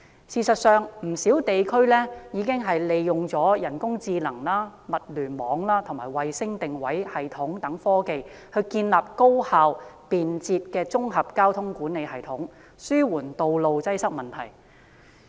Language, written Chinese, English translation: Cantonese, 事實上，全球不少地區已經利用人工智能、物聯網和衞星定位系統等科技，建立高效便捷的綜合交通管理系統，紓緩道路擠塞的問題。, In fact many places around the world are using technologies such as artificial intelligence the Internet of Things and the Global Positioning System GPS to establish an efficient and convenient integrated traffic management system to alleviate congestion on roads